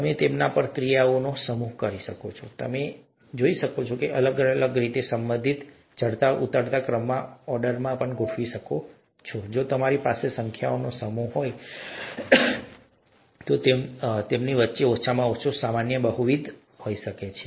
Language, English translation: Gujarati, You can perform a set of operations on them, and, you can also see that they are related in different ways, you could order them in an ascending descending order, if you have a set of numbers, there could be a least common multiple among them, there could be a highest common factor among them and so on